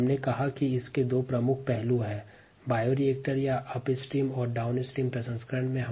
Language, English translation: Hindi, we said that it has two major aspects: the bioreactor aspect or the upstream aspect, and the downstream processing aspects